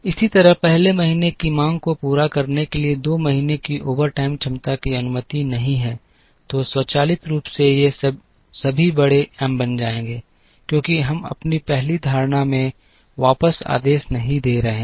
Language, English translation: Hindi, Similarly, overtime capacity of the 2nd month to meet the 1st month’s demand is not allowed, so automatically all these will become big M, because we are not allowing back ordering in our 1st assumption